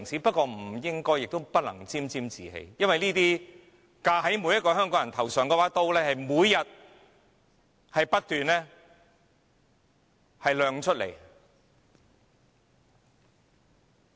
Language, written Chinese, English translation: Cantonese, 不過，我們不應亦不能沾沾自喜，因為架在每個香港人頭上的那把刀每天仍不斷亮出。, Yet we should not be complacent for the people of Hong Kong are still under the threat of the gleaming sword hung over our head